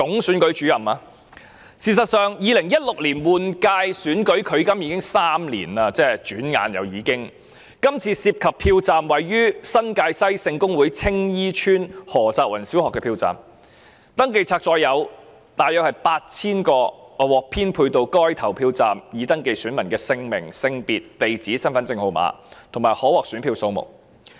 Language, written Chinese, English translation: Cantonese, 事實上 ，2016 年立法會換屆選舉轉眼距今已3年，今次涉及的票站位於新界西選區聖公會青衣邨何澤芸小學，選民登記冊載有獲編配到該投票站約 8,000 名已登記選民的姓名、性別、地址、身份證號碼，以及可獲選票數目。, In fact three years have slipped by since the 2016 Legislative Council General Election . The polling station concerned was located at SKH Tsing Yi Estate Ho Chak Wan Primary School in the New Territories West constituency and the Register of Electors contained the names sexes addresses and identity card numbers of about 8 000 registered electors who were assigned to that polling station as well as the number of ballot papers each of them might be issued with